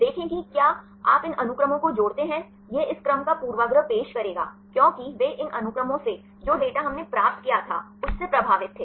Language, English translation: Hindi, See if you add up these sequences this will introduce a bias of this sequence; because they influenced with the data which we obtained right, from these sequences